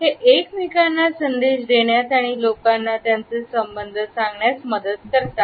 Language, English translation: Marathi, It helps them to give messages to each other and letting people know their affiliations